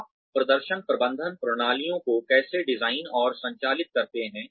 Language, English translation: Hindi, How do you design and operate, performance management systems